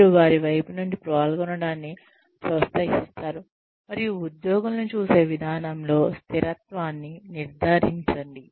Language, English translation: Telugu, You encourage participation from their side, and ensure consistency of treatment among the employees